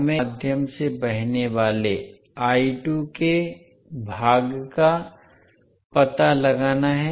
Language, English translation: Hindi, We have to find out the portion of I2 flowing through the Inductor